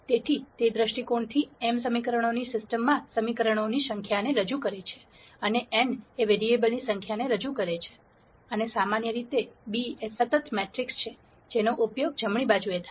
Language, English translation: Gujarati, So, from that viewpoint, m represents the number of equations in the system of equations and n represents the number of variables, and in general b is the constant matrix that is used on the right hand side